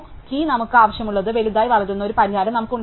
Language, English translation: Malayalam, We can have a solution where the tree can grow as large as we want